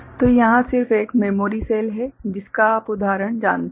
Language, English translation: Hindi, So, here is just one memory cell you know kind of example